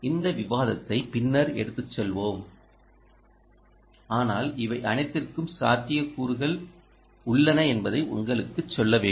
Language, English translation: Tamil, we will take this discussion forward at a later stage, but just to tell you that these are all the possibilities